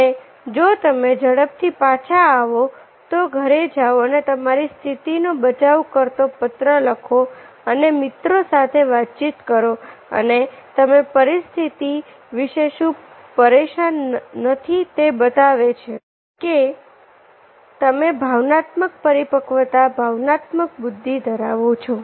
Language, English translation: Gujarati, but if you comeback, if you sharply comeback, go home and write a letter defending your position and take it and talk with the person how you felt and communicate with friends and you are no more bother about the situation and that's shows you are emotional maturity and emotional intelligence